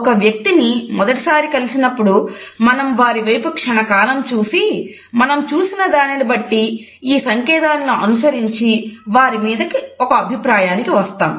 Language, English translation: Telugu, When we meet a person for the first time then we quickly glance at a person and on the basis of what we see, we make an immediate judgment on the basis of these cues